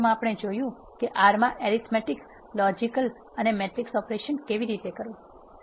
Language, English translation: Gujarati, In this video we have seen how to do arithmetic logical and matrix operations in R